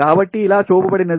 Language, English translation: Telugu, so shown like this